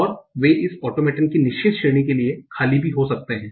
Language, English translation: Hindi, And they may also be empty for certain category of these automaton